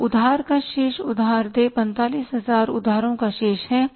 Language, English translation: Hindi, So, the balance of the loan, loan payable is that is 45,000 is the balance of the loan